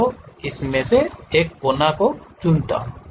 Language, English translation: Hindi, So, it has selected that corner point